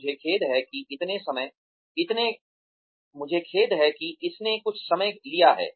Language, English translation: Hindi, I am sorry it has taken up sometime